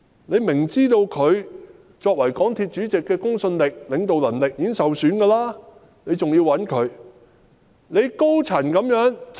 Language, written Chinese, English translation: Cantonese, 政府清楚知道他作為港鐵公司主席的公信力和領導能力已受損，但還是要委以重任。, Clearly knowing that his credibility and leadership as Chairman of MTRCL have already been impaired the Government still entrusts him with important tasks